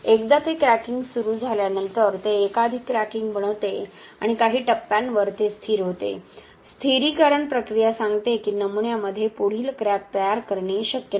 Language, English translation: Marathi, Once it starts cracking, it forms multiple cracking and it stabilizes at some stages, the stabilization process says that further crack formation is not possible in the specimen